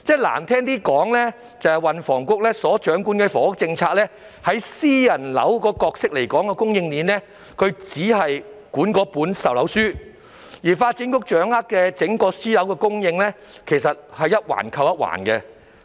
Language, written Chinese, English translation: Cantonese, 運輸及房屋局掌管房屋政策，就私樓供應鏈的角色而言，只是規管售樓書，而發展局則掌管整個私樓供應，其實是一環扣一環。, The Transport and Housing Bureau oversees the housing policy and plays only the role of regulating sales brochures in the private housing supply chain whereas the Development Bureau is in charge of the entire private housing supply . They are actually links in a causal chain